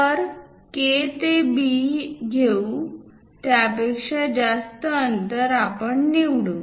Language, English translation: Marathi, So, let us pick from K to B, a distance greater than that